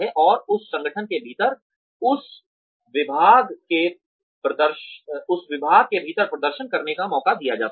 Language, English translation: Hindi, And, are given a chance to perform, within that department, in that organization